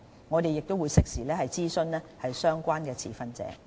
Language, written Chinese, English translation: Cantonese, 我們會適時諮詢相關持份者。, We will consult the stakeholders in due course